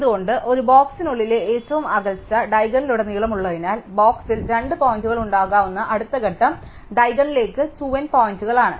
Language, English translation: Malayalam, Why, because the furthest separation within a box is across the diagonal, the further step two points can be in the box is at 2 end points to the diagonal